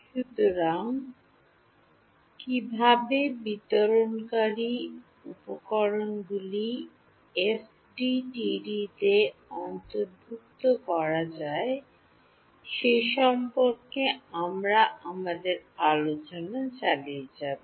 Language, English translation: Bengali, So, we will continue our discussion of how to incorporate dispersive materials into FDTD